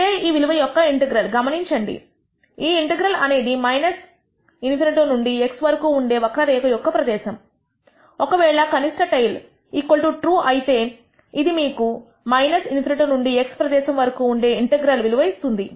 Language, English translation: Telugu, This value of this integral, notice this integral is nothing but the area under the curve between minus in nity to x, if lower tail is equal to TRUE it will give you this integral value area between minus in nity and x